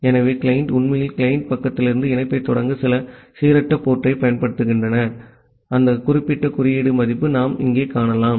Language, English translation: Tamil, So, the client is actually using some random port to initiate the connection from the client side, that particular code value we can see here